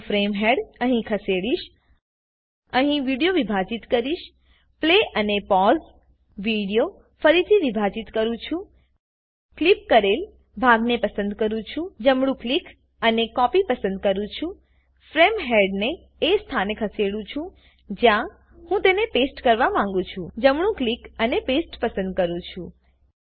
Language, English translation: Gujarati, I will move the frame head here Split the video here – Play and pause – Split the video again Select the clipped part – Right click and select Copy Move the frame head to the position where I want to paste it – Right click and select Paste